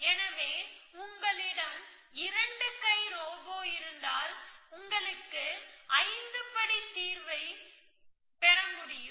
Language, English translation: Tamil, So, you can get a 5 step solution if you had A 2 arm robot